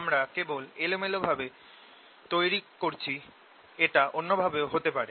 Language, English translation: Bengali, i am just making arbitrarily could be the other way